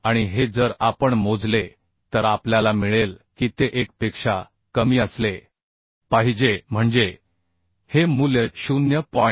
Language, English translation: Marathi, 66 and this if we calculate will get it has to be less than 1 that means these value are coming 0